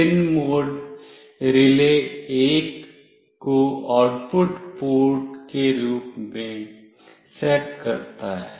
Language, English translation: Hindi, pinMode sets RELAY1 as an output port